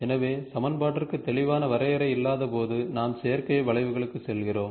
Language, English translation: Tamil, So, where there is no clear definition of equation available, then we go for synthetic curves